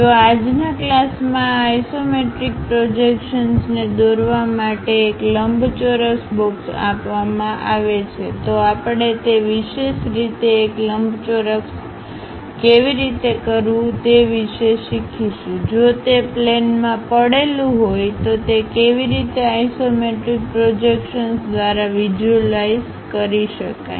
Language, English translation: Gujarati, If a rectangular box is given to draw these isometric projections in today's class we are going to learn step by step how to do those especially a rectangle if it is lying on particular plane how it can be visualized through isometric projections